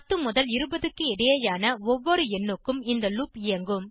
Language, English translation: Tamil, The loop will execute for every number between 10 to 20